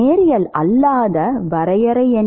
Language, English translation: Tamil, What is the definition of non linearity